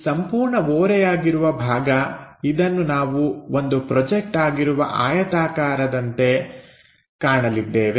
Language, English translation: Kannada, This entire incline portion, we are about to see it something like a projected rectangle